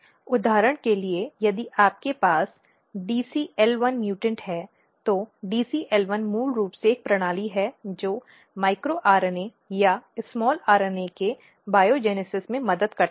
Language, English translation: Hindi, For example, if you have dcl1 mutant, DCL1 is basically a system which helps in biogenesis of micro RNA or small RNAs